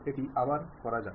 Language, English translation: Bengali, Let us do it once again